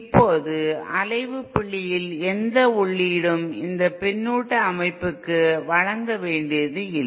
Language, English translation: Tamil, Now at the point of oscillation, no input needs to be provided to this feedback system